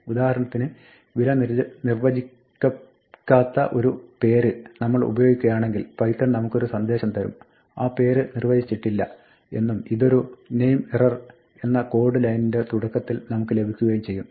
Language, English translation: Malayalam, For instance, if we use a name whose value is undefined then we get a message from python that the name is not defined and we also get a code at the beginning of the line saying this is a name error